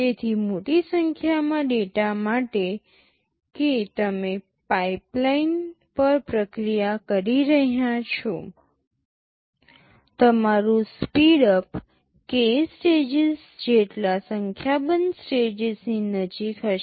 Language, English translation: Gujarati, So, for a large number of data that you are processing the pipeline, your speedup will be close to number of stages k